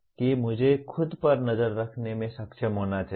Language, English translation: Hindi, That I should be able to monitor myself